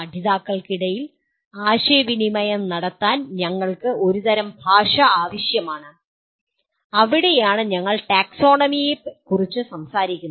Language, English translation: Malayalam, And we require some kind of a language to communicate between the learners and that is where we talk about the taxonomy